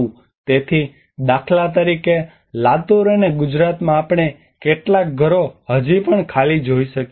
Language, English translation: Gujarati, So for instance in Latur and Gujarat we can see even some of the houses still or empty unoccupied